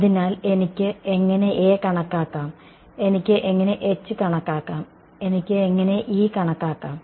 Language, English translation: Malayalam, So, how can I calculate A, how can I calculate H, how can I calculate E